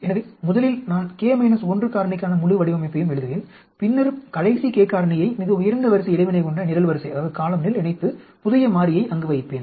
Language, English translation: Tamil, So, first I will write the full design for the k minus 1 factor and then, associate the last k the factor into the column that is the highest order interaction and put the new variable there